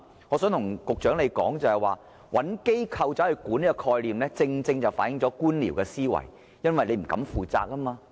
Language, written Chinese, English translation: Cantonese, 我想對局長說，找機構管理這概念正正反映官僚的思維，因為政府不敢負責。, I would like to tell the Secretary the concept of designating an organization for management precisely reflects the Governments bureaucratic thinking because it does not have to bear responsibilities